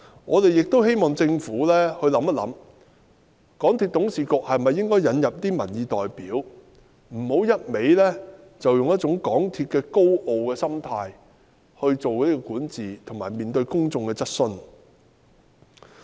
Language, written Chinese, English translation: Cantonese, 我們亦希望政府考慮，港鐵公司董事局是否應該引入民意代表，不要讓港鐵公司再以一種高傲的心態來作出管治及面對公眾的質詢。, We also hope that the Government can consider allowing peoples representatives to sit in the MTRCL Board so that the governance of MTRCL and its handling of public queries will not be carried out with an arrogant attitude again